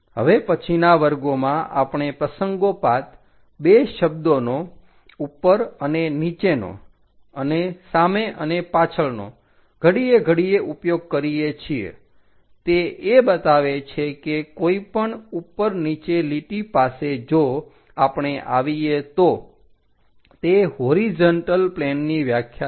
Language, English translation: Gujarati, In later classes, we occasionally use two words above and below frequently in front and behind, this indicates that any above below lines if we come across those for horizontal plane definitions